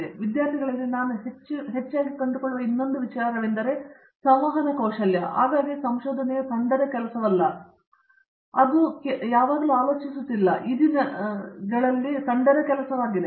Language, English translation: Kannada, And, the other thing I find often in our students is this communication skills, very often research is team work not often I think always it is a team work now a days